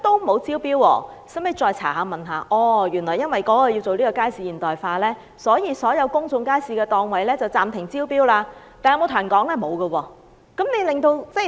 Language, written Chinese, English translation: Cantonese, 經查詢後，我們始知原來因為要進行街市現代化，所有公眾街市的檔位暫停招標，但食環署卻沒有向外公布。, Upon enquiry we learnt that all auctions of public market stalls were suspended for the implementation of market modernization but FEHD had made no public announcement about it